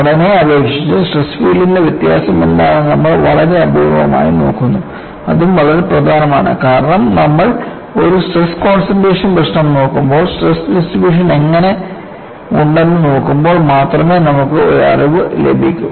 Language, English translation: Malayalam, You very rarely look at what is the variation of stress feel over the structure; that is also very importantbecause when you are looking at a stress concentration problem, you will get a knowledge only when you look at how there is distribution